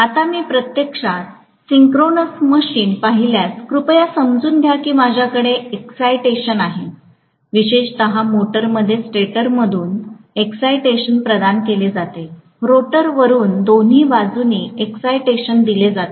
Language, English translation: Marathi, Now, if I look at actually the synchronous machine, please understand that I am going to have excitation, especially in the motor; excitation is provided from the stator, excitation provided from the rotor, both sides